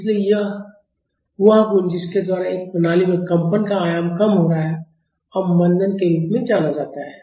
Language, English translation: Hindi, So, the property by which the vibration in a system is diminishing in amplitude is known as damping